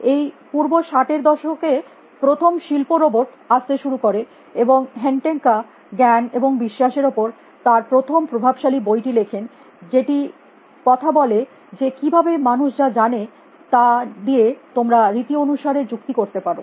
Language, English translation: Bengali, In this early 60’s the first industrial lower started coming indica wrote his influential book on knowledge and belief, which talks about how can you formal the reason about what people you know